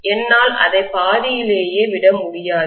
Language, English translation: Tamil, I cannot leave it halfway through